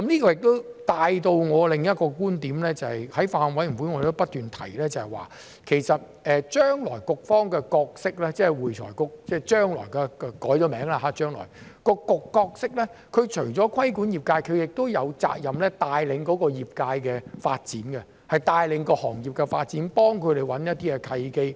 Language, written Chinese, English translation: Cantonese, 這亦帶出我另一個觀點，在法案委員會，我們亦不斷提及，將來局方的角色，即將來改名後的會計及財務匯報局，除了規管業界，亦有責任帶領業界的發展，帶領行業的發展，幫他們找一些契機。, This brings me to another point . At the Bills Committee we have repeatedly mentioned that the council which will be renamed Accounting and Financial Reporting Council AFRC will not only regulate the industry but it also has the responsibility to lead the development of the sector or the industry and help them identify opportunities